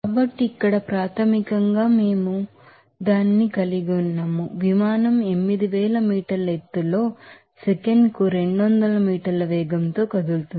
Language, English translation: Telugu, So, here basically we are having that, the airplane is moving at a velocity of 200 meter per second at an elevation of 8000 meter